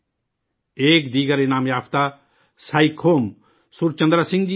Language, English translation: Urdu, There is another award winner Saikhom Surchandra Singh